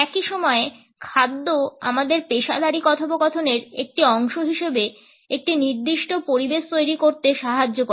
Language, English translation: Bengali, At the same time food helps us to create a particular ambiance as a part of our professional dialogues